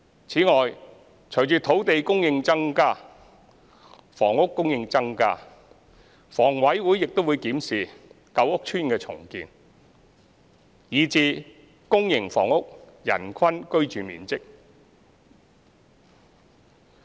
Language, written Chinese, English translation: Cantonese, 此外，隨着土地供應增加，房屋供應增加，房委會亦會檢視舊屋邨重建，以至公營房屋人均居住面積。, Moreover following an increase in land supply and housing supply HA will review the redevelopment of old housing estates and the per capita floor area of public housing